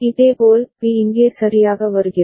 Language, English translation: Tamil, Similarly, B is coming here right